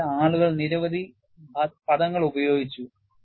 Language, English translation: Malayalam, People have coined several terminologies